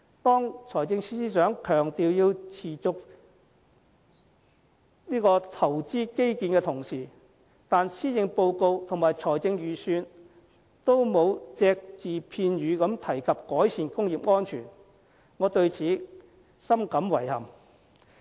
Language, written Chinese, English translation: Cantonese, 當財政司司長強調要持續投資基建的同時，但施政報告和預算案都沒有隻字片語提及改善工業安全，我對此深感遺憾。, The Financial Secretary stresses the need to invest continuously on infrastructure but not a word is mentioned in the Policy Address and the Budget on improving occupational safety . I find this most regrettable